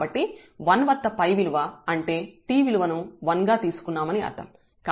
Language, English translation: Telugu, So, the phi at 1, so phi at 1 means the t will be substituted as 1 here